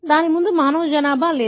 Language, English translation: Telugu, It was not having any human population before